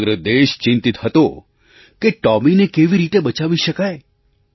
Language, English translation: Gujarati, The whole country was concerned about saving Tomy